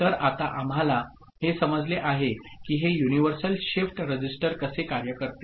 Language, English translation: Marathi, So, now we understand how this universal shift register works